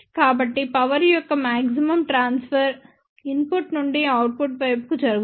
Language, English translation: Telugu, So, that maximum transfer of the power takes place from input to the output side